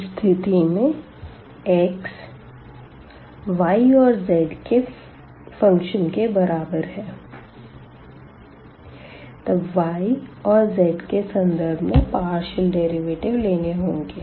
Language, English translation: Hindi, So, in this case for x is equal to the function of y and z then the partial derivatives with respect to y and z will appear